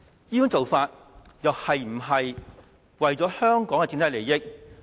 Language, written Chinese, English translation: Cantonese, 這種做法又是否為了香港的整體利益？, Can this kind of approach be regarded as working in the overall interest of Hong Kong?